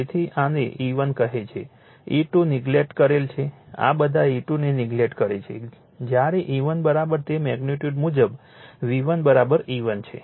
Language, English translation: Gujarati, So, this is your what you call E 1, E 2 neglect all this E 2 neglect all this when E 1 is equal to it is the magnitude wise V 1 is equal to E 1